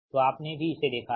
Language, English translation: Hindi, so you have also seen this one